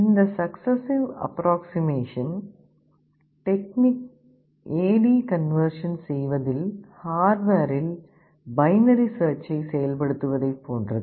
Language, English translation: Tamil, This successive approximation technique is like implementing binary search in hardware in performing the A/D conversion